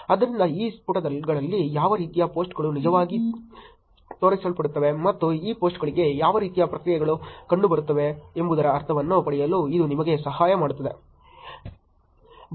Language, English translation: Kannada, So, this will help you to get a sense of what are kind of posts are actually showing up on these pages, and what kind of reactions are being seen on for these posts also